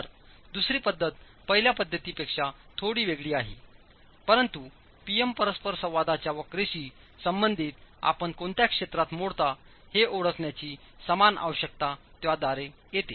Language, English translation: Marathi, So the second method is a little different from the first method, but they come from the same requirements of identifying which regions you fall into as far as the PM interaction curve is concerned